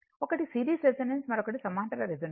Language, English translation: Telugu, One is the series resonance, another is the parallel resonance right